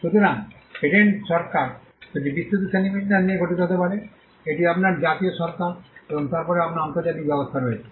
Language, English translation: Bengali, So, the patent regime can comprise of two broad classification; one you have the national regime and then you have the international regime